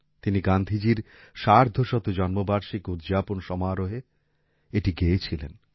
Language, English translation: Bengali, He had sung it during the 150th birth anniversary celebrations of Gandhiji